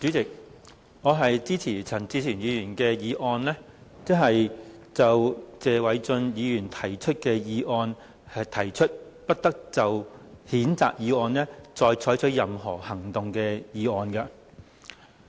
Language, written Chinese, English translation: Cantonese, 主席，我支持陳志全議員動議"不得就謝偉俊議員動議的譴責議案再採取任何行動"的議案。, President I support the motion moved by Mr CHAN Chi - chuen that no further action shall be taken on the censure motion moved by Mr Paul TSE